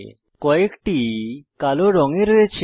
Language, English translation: Bengali, Except for some in Black